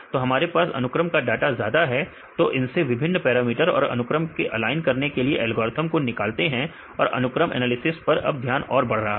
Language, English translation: Hindi, So, we have more number of sequence data now they are deriving various parameters and algorithms to align the sequences right getting more attention right again the sequence analysis right